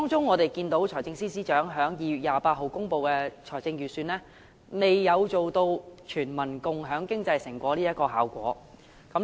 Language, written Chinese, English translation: Cantonese, 我們見到財政司司長在2月28日公布的預算案，並未達致全民共享經濟成果的效果。, We saw that the Budget presented by the Financial Secretary on 28 February failed to achieve the effect of sharing the fruits of economic success with all the people